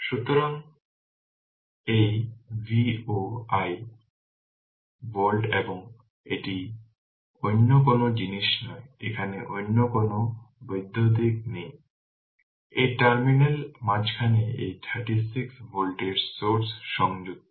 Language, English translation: Bengali, So, and this is 36 volt and this is no other thing is there this is no electrical other just just in between these terminal this 36 volt source is connected